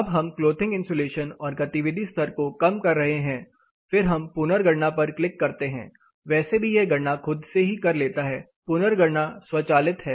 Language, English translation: Hindi, If you change this for example, if you are reducing the clothing insulation then the activity level are also being reduced, say recalculate it will any way do the calculations by itself recalculation is automatic